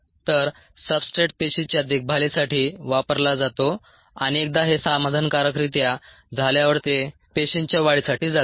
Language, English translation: Marathi, so the substrate goes for cell maintenance and ones this is satisfied, then it goes for cell multiplication